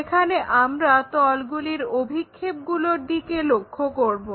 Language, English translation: Bengali, Here, we are looking at Projections of planes